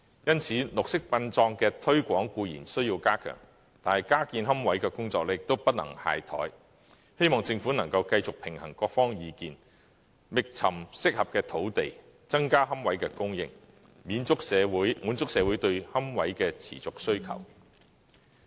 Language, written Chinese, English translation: Cantonese, 因此，綠色殯葬的推廣固然需要加強，但加建龕位的工作也不能懈怠，希望政府能夠繼續平衡各方意見，覓尋適合的土地，增加龕位的供應，滿足社會對龕位的持續需求。, For this reason while we certainly need to step up the promotion of green burial we should not slacken our efforts to build more niches . I hope that the Government can continue to balance the views of various sides identify appropriate sites and increase the supply of niches so as to cater to the continuing demand for niches